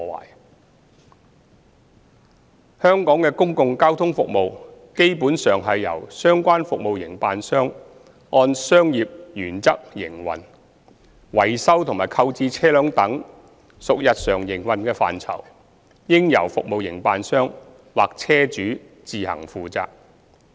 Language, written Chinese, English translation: Cantonese, 二香港的公共交通服務基本上是由相關服務營辦商按商業原則營運，維修及購置車輛等屬日常營運範疇，應由服務營辦商或車主自行負責。, 2 Public transport services in Hong Kong are generally provided by relevant service operators on commercial principles . Maintenance and procurement of vehicles etc are under the daily operation scope for which the operators or vehicle owners should be responsible